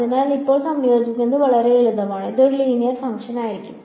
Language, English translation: Malayalam, So, it was very simple to integrate now it will be a linear function right